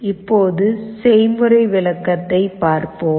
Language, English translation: Tamil, Now let us look at the program